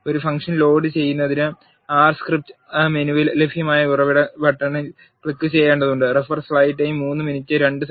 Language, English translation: Malayalam, To load a function you need to click on the source button that is available in the R script menu